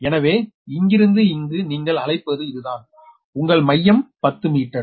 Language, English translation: Tamil, what you call this is your center to center is ten meter